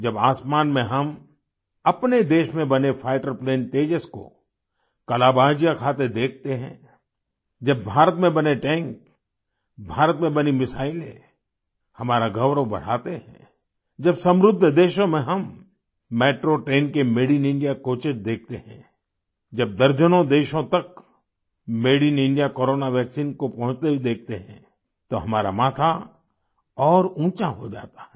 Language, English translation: Hindi, When we see fighter plane Tejas made in our own country doing acrobatics in the sky, when Made in India tanks, Made in India missiles increase our pride, when we see Made in India coaches in Metro trains in wealthyadvanced nations, when we see Made in India Corona Vaccines reaching dozens of countries, then our heads rise higher